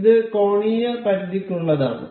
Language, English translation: Malayalam, This is for angular limits